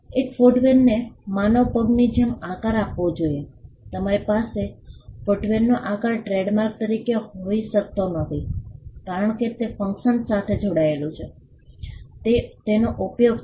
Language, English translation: Gujarati, A footwear has to be shaped like the human foot you cannot have the shape of a footwear as a trademark, because it is function is tied to it is use